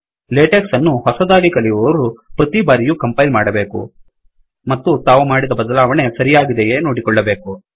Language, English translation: Kannada, Beginners of latex should compile after each and every change and ensure that the changes they have made are acceptable